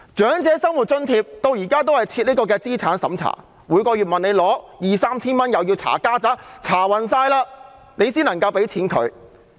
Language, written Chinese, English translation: Cantonese, 長者生活津貼至今仍設資產審查，每個月向政府領取兩三千元也要"查家宅"，要接受詳細審查後才能獲發津貼。, The Old Age Living Allowance is still means - tested even now . Applicants have to provide considerable family details just to get a monthly sum of 2,000 to 3,000 from the Government and go through meticulous vetting before they will be granted the subsidy